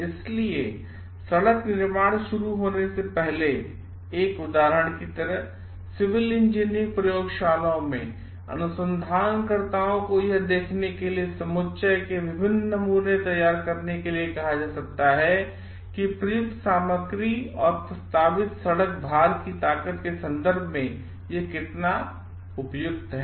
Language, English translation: Hindi, So, like an example before a road construction begins, researches in civil engineering labs might be asked to prepare different samples of the aggregates to see which is well suited in terms of the strength of the material used and the proposed road load